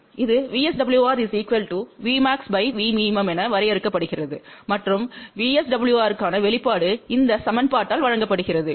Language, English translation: Tamil, This is defined as V max divided by V min and the expression for VSWR is given by this equation